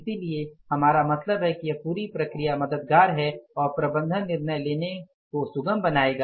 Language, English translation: Hindi, So, we are going to be helped out and this entire process is going to facilitate the management decision making